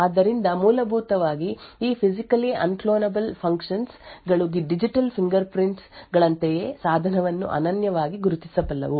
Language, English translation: Kannada, So, essentially this Physically Unclonable Functions are something like digital fingerprints which can uniquely identify a device